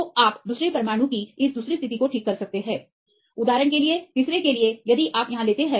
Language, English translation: Hindi, So, you can fix this second position of the second atom; then for the third one for example, if you take here